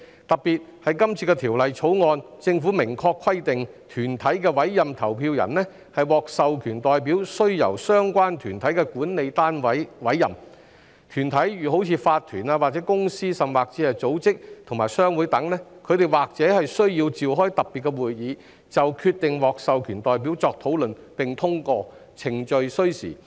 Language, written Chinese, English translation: Cantonese, 特別是政府在今次《條例草案》中明確規定，團體委任投票人為獲授權代表須由相關團體的管理單位委任，團體例如法團、公司或組織及商會等，或須召開特別會議，就決定獲授權代表作討論並通過，程序需時。, This is particularly so given that the Government has explicitly provided in the present Bill that the appointment of an authorized representative of a corporate voter must be made by the governing authority of the relevant organizations . For organizations such as owners corporations companies or chambers of commerce they may have to convene a special meeting to discuss and pass the decision on appointing the authorized representative and the procedure takes time